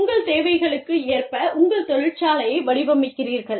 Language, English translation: Tamil, You design your factory, according to your needs